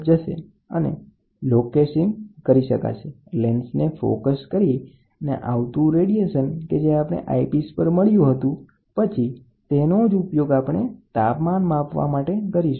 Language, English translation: Gujarati, The incoming radiation by focusing the lens on the body you try to get the eyepiece and you try to measure the temperature displacement